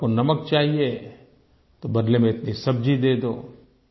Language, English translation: Hindi, If you wanted salt, you could give vegetables in exchange